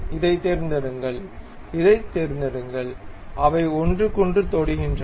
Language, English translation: Tamil, Pick this one, pick this one, they are tangent to each other